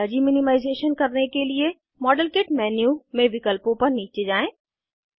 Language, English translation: Hindi, To do Energy minimization: Scroll down the options in the Modelkit menu